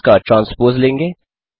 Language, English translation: Hindi, Then take the transpose of it